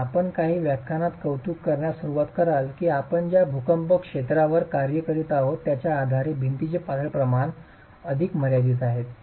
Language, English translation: Marathi, And you will start appreciating in a few lectures that depending on the earthquake zone that we are working in, the slenderness ratios of walls is further limited